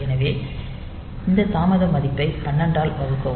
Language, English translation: Tamil, So, this delay will be this value divided by 12